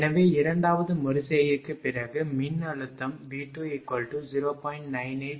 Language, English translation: Tamil, So, after second iteration we have just seen that, voltage V2 is 0